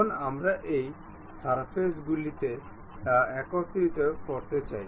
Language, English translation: Bengali, Now, we want to really mate these surfaces